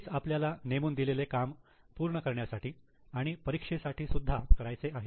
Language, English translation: Marathi, We are going to have a same thing for our assignment as well as for the examination